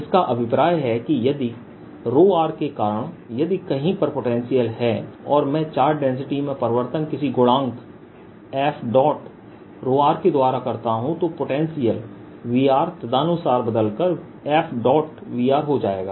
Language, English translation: Hindi, and what it means is if there's some potential due to rho r, if i change the density to some factor, f, rho r, the potential correspondingly will change the potential v r